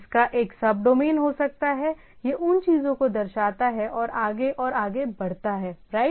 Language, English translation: Hindi, It can have sub domain, it delegate that thing to things right and go so and so forth